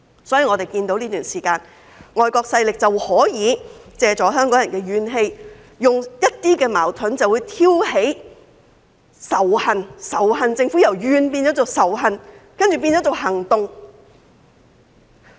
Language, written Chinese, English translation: Cantonese, 所以，我們看到在這段時間，外國勢力可以借助香港人的怨氣，利用一些矛盾挑起仇恨，由埋怨政府變成仇恨政府，然後再變成行動。, Therefore as we can see during this period of time foreign forces can take advantage of Hong Kong peoples grievances and use certain conflicts to stir up hatred . Grievances against the Government have turned into hatred of the Government and then into actions